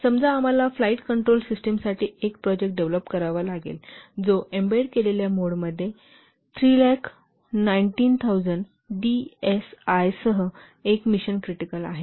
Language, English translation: Marathi, Suppose you have to develop a project for a flight control system which is mission critical with 3190 DSA in embedded mode